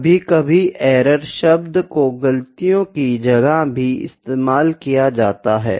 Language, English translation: Hindi, Sometimes errors is the term that is also used for the mistakes there were made